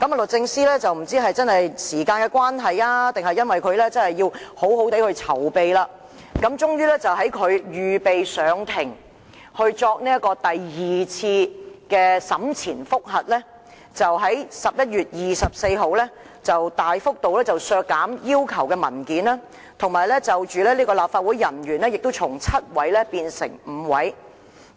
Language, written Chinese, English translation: Cantonese, 律政司不知是否因時間關係，還是要好好地籌備，最終要到預備上庭作第二次審前覆核，即11月24日，才大幅度削減要求索取的文件數量，而要求作供的立法會人員數目亦由7位減至5位。, For reasons unknown such as time constraint or the need to make better preparation DoJ finally made an application for special leave on 24 November that is immediately before the scheduled second pre - trial review the number of documents required to be produced was significantly reduced and only five instead of seven officers are required to give evidence